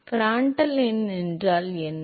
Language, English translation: Tamil, What is Prandtl number